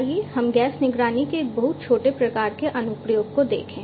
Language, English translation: Hindi, So, let us look at one very small kind of application of gas monitoring let us say